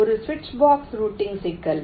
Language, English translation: Tamil, this can be a switch box routing